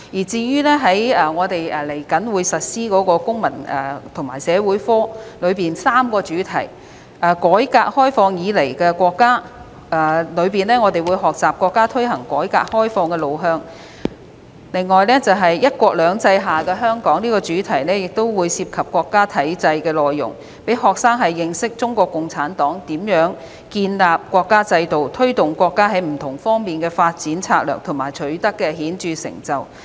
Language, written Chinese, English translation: Cantonese, 至於即將推行的公民與社會發展科的3個主題，在"改革開放以來的國家"的主題下，學生會學習國家推行改革開放的路向；"'一國兩制'下的香港"這個主題會涉及國家體制的內容，讓學生認識中國共產黨如何建立國家制度、推動國家在不同方面的發展策略及所取得的顯著成就。, As for the three themes under the subject Citizenship and Social Development to be implemented the theme Our Country since Reform and Opening - up will explain the direction of Chinas reform and opening - up while the theme Hong Kong under One Country Two Systems will touch on the national system to give students an understanding of how CPC established the national system implemented Chinas development strategies in different areas and made remarkable achievements